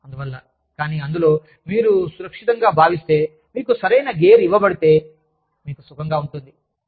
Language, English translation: Telugu, And so, but even, in that, if you feel safe, if you have been given, the right gear, you feel comfortable